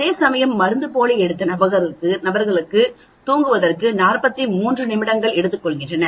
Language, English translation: Tamil, Whereas it took 43 minutes for subjects who took placebo